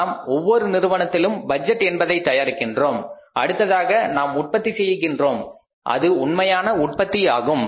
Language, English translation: Tamil, We prepare the budgets in every firm, budgets in every firm and then we go for the production that is the actual production